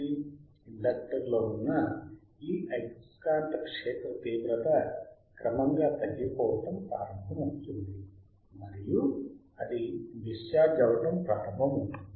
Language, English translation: Telugu, Tthis magnetic field that is there in the inductor this one,; that will start collapsing and the it will start discharging